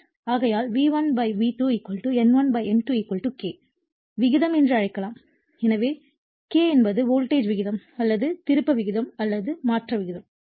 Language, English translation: Tamil, Therefore, we can make V1 / V2 = N1 / N2 = K that is called turns ratio therefore, K is the voltage ratio or turns ratio or transformation ratio